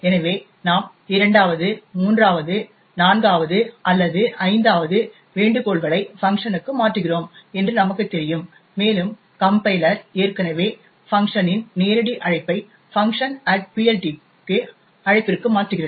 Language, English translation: Tamil, So, let us say we are making the 2nd, 3rd, 4th or 5th invocation to func and as we know the compiler has already replace the direct call to func to a call to func at PLT